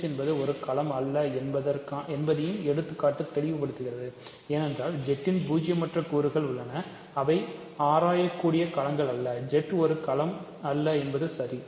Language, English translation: Tamil, The example also makes it clear that Z is not a field, because there are non zero elements of Z that are not fields for example, 2 is not a field ok